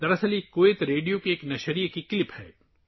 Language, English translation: Urdu, Actually, this is a clip of a broadcast of Kuwait Radio